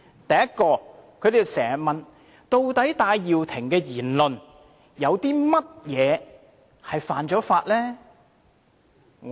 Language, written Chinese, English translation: Cantonese, 第一，他們經常問，究竟戴耀廷的言論有甚麼地方違法？, Firstly they kept asking which part of Benny TAIs remarks had violated the law